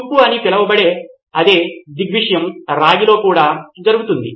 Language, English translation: Telugu, It’s the same phenomena called corrosion that happens even in copper